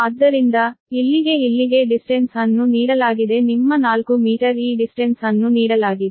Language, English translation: Kannada, so here to here distance is given your four meter right, this distance is given